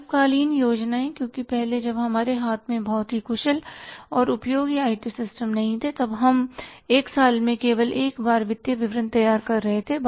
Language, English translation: Hindi, Short term planning because earlier when we were not having the very efficient and useful IT systems in hand we were preparing the financial statements only once in a year